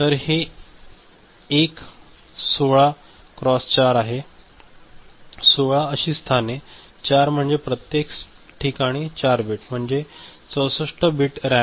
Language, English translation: Marathi, So, this is a 16 cross 4 so, 16 such locations and 4 means, 4 bits in each location 64 bit RAM ok